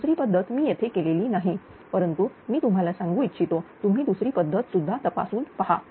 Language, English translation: Marathi, Second method I have not done it here, but I request you you can check also using the second method